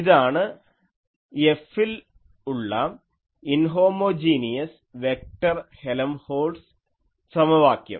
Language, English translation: Malayalam, This was the Helmholtz equation inhomogeneous vector Helmholtz equation earlier